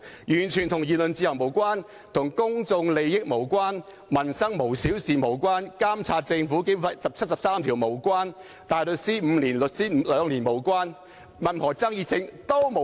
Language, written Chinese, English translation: Cantonese, 完全與言論自由無關，與公眾利益無關，與"民生無小事"無關，與根據《基本法》第七十三條監察政府無關，與大律師5年年資、律師兩年年資無關，與任何爭議都無關！, The Notice has absolutely nothing to do with freedom of speech public interests and peoples livelihood; it has absolutely nothing to do with Members duty to monitor the Government under Article 73 of the Basic Law or the five - year experience as a barrister or the two - year experience as a solicitor . It has nothing to do with any controversy!